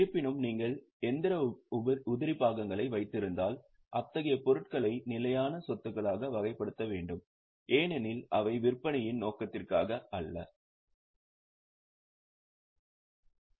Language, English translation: Tamil, However, if you are keeping machinery spares, then such items should be classified as fixed assets because they are not into for the purpose of selling